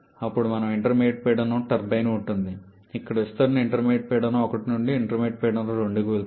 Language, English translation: Telugu, Then we have an intermediate pressure turbine where the expansion goes from intermediate pressure 1 to intermediate pressure 2